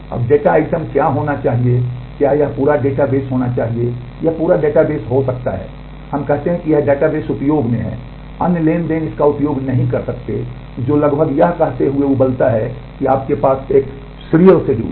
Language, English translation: Hindi, Now what should be the data item, should it be the whole database, it can be the whole database we say this database is in use other transaction cannot use it, which boils down to saying almost that you have a serial schedule